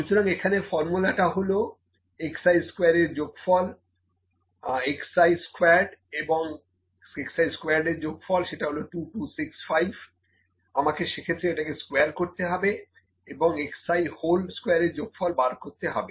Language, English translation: Bengali, So, the formula was summation of x i summation of x i squared, that is 2265, this is equal to I need to square this as well summation of x i whole square